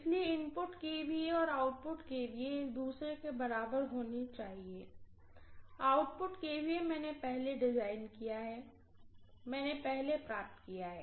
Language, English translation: Hindi, So input kVA and output kVA have to be equal to each other, output kVA I have designed first, I have derived first